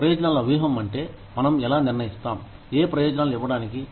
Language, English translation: Telugu, Benefits strategy refers to, how we decide on, what benefits to give